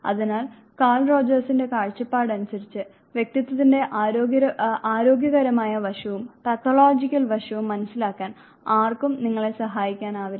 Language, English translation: Malayalam, So, you see that Carl Rogers view point no can even help you understand the healthiest side personality as well as the pathological side of the personality